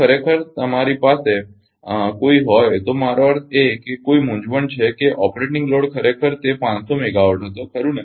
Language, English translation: Gujarati, Actually if you have any I mean any confusion that operating load actually it was 5 megawatt right